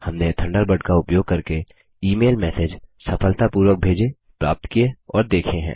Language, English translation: Hindi, We have successfully sent, received and viewed email messages using Thunderbird